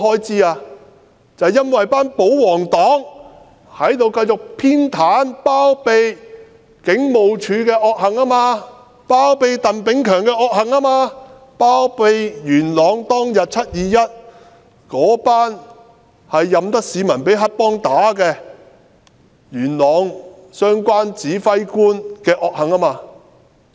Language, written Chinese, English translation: Cantonese, 就是因為保皇黨繼續偏袒和包庇警務處的惡行，包庇鄧炳強的惡行，包庇在元朗"七二一"事件當天，那些任由市民被黑幫毆打的元朗相關指揮官的惡行。, Because the pro - Government camp remains biased and continues to shield the evil deeds of HKPF . They shield the evil deeds of Chris TANG and those of the commander concerned in Yuen Long who just let members of the public be beaten up by gangsters